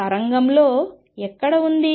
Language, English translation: Telugu, Where is it in the wave